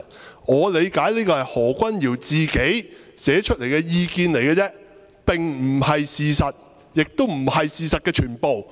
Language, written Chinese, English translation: Cantonese, 據我理解，這是何君堯議員自己寫出來的意見而已，並非事實，亦不是事實的全部。, To the best of my understanding this is only an opinion written by Dr Junius HO himself rather than the truth nor the whole truth